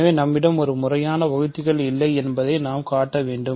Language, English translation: Tamil, So, now we need to show that it has no proper divisors